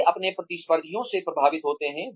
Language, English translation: Hindi, They are influenced by their competitors